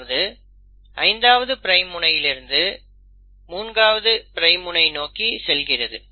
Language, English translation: Tamil, And that happens from 5 prime end to 3 prime end